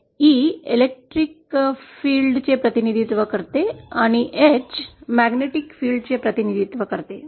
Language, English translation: Marathi, E represents the electric field, H represents the magnetic field